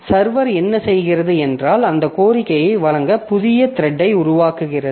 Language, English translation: Tamil, So, so what the server does is that it creates a new thread to service that request